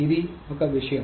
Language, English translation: Telugu, So, this thing